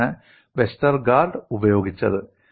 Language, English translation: Malayalam, That is what Westergaard has used